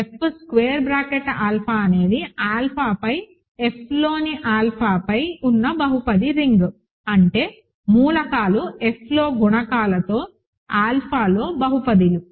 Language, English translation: Telugu, F square bracket alpha is the polynomial ring over alpha, over F in alpha; that means, elements are polynomials in alpha with coefficients in F